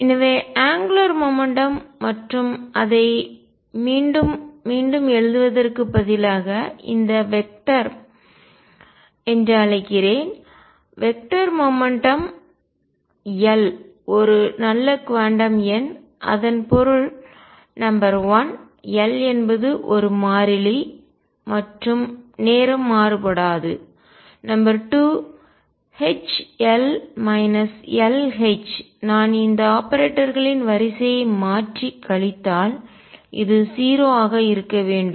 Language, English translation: Tamil, So, if angular momentum and rather than writing it again and again let me call this vector , angular momentum L is a good quantum number this means number one L is a constant and time it does not vary, number 2 H L minus L H if I change the order of these operators and subtract this should be 0 this is what we have learnt last time